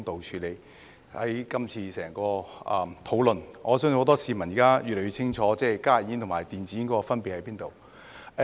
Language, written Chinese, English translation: Cantonese, 就今次整項討論，我相信很多市民現在越來越清楚加熱煙和電子煙的分別在哪。, Through all the discussion I believe many people know more clearly about the difference between HTPs and e - cigarettes